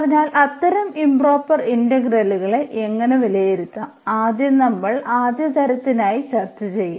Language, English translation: Malayalam, So, how to evaluate such improper integrals, for first we will discuss for the first kind